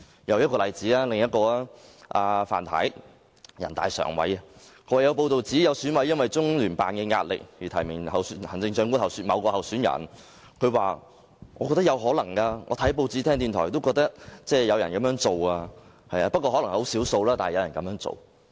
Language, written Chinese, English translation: Cantonese, 又例如，人大常委范太也說過；早前有報道指，有選委因為中聯辦的壓力而提名某位行政長官候選人，范太說她覺得這情況有可能，她看報紙和聽電台節目後也覺得有人會這樣做，可能很少數，但有人會這樣做。, Her response confirmed that such a situation did exist . Take for example the comments made by Mrs FAN a member of the Standing Committee of the National Peoples Congress . Responding to earlier reports that an EC member nominated a particular candidate owing to pressures from LOCPG Mrs FAN said that it was probably the case because from what she gathered from the newspapers and radio programmes she felt that some persons though only a handful might take similar actions